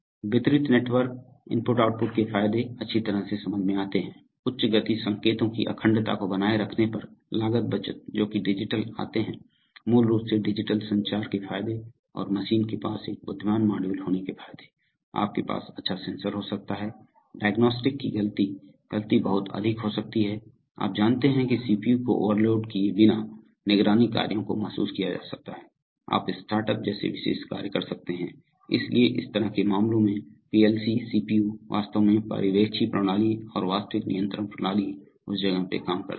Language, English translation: Hindi, The advantages of distributed Network i/o are well understood, cost saving on maintaining integrity of high speed signals because digital come, basically the advantages of digital communication and the advantages of having an intelligent module near the machine, so you can have good sensor Diagnostics fault, fault can be much more, you know monitoring functions can be realized without overloading CPU, you can do special function like startup, so in a sense in such cases the PLC CPU really works like a supervisory system and the actual controls system on the spot